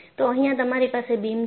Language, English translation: Gujarati, So, here, you have here, this is the beam